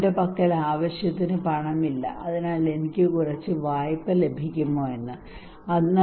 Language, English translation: Malayalam, He does not have enough money maybe so he asked the bank that can I get some loan